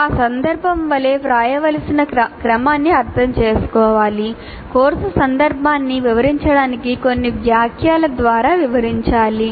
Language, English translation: Telugu, So one has to understand the sequence that should be written like that point need to be elaborated through a few sentences to explain the course context